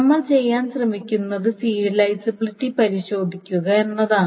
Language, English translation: Malayalam, So essentially what we are trying to say is testing for serializability